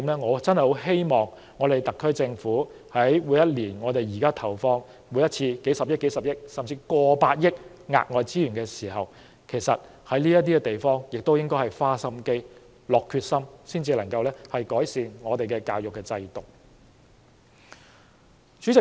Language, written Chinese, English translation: Cantonese, 我真的希望特區政府以後除了每年投放數十億元，甚至超過100億元的額外資源在教育範疇，也應在這些方面花點心機、下定決心去改善我們的教育制度。, I truly hope that apart from injecting a few billion dollars or even over ten billion dollars of additional resources on education every year the Government can also make an effort in these areas and demonstrate its determination to improve our education system